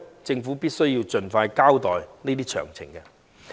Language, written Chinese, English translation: Cantonese, 政府必須盡快交代有關詳情。, The Government must expeditiously present the relevant details